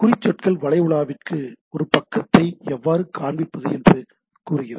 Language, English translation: Tamil, Tags tell the web browser how to display a page right, the tag tells a web browser how to display a page